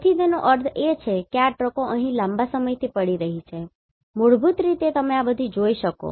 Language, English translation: Gujarati, So that means these trucks are lying here for a long time rest are basically if you can see all these